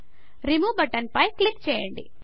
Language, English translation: Telugu, Click on the Remove button